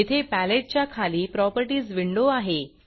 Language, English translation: Marathi, Down here below the palette is the Properties window